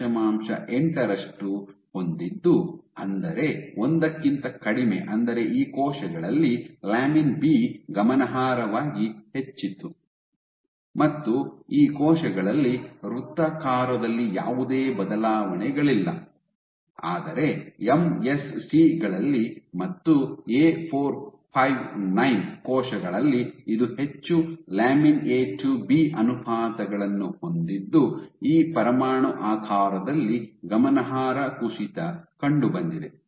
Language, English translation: Kannada, 8, which is less than 1 which means that lamin B was significantly high in these cells, in these cells there was no change in circularity, but in these cells in MSCs, as well as in A459 cells which had much greater lamin A to B ratios you formed a significant drop in this nuclear shape ok